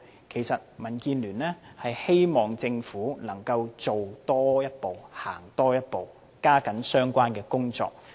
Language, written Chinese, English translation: Cantonese, 其實民建聯希望政府能夠多做一步、多走一步，加緊進行相關工作。, In fact DAB hopes the Government can make an extra effort and take a further step to press ahead with the relevant work